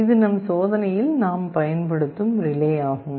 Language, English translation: Tamil, This is the relay that we shall be using in our experiment